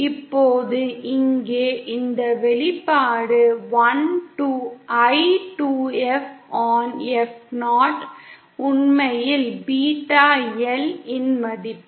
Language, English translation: Tamil, Now here this expression I by 2F upon F 0 is actually the value of beta L